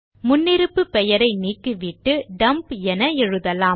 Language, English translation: Tamil, Now delete the default name and write the new sheet name as Dump